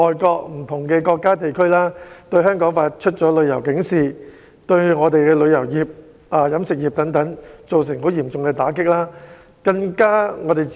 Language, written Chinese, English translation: Cantonese, 不同國家和地區向香港發出旅遊警示，對我們的旅遊業及飲食業均造成嚴重打擊。, Various countries and regions have issued travel warnings against Hong Kong which have dealt a severe blow to our tourism and catering industries